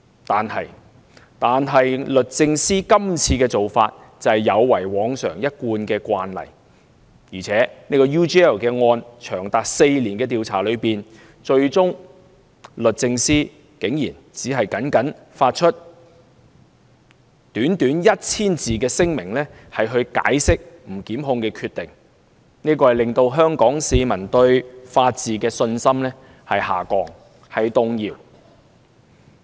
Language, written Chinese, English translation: Cantonese, 但是，律政司今次的做法有違往常一貫慣例，而且在 UGL 案長達4年的調查終結之後，律政司竟然只發出短短 1,000 字的聲明解釋不檢控的決定，令香港市民對法治的信心下降，甚至動搖。, Contrary to the usual practice this time DoJ only issued a brief 1 000 - word statement to explain its non - prosecution decision upon the conclusion of a four - year long investigation of the UGL case . This has lowered or even shaken Hong Kong peoples confidence in the rule of law